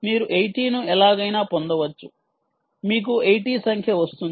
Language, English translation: Telugu, you could get eighty with, somehow you get a number, eighty